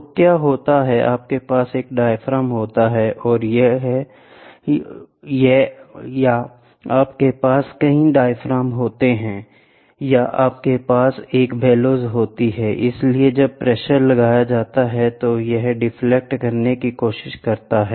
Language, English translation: Hindi, So, what happens is, you have one diaphragm or you have multiple diaphragms or you have a bellows so when the pressure is applied it tries to deflect